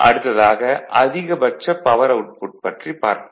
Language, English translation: Tamil, So, will see this that maximum power output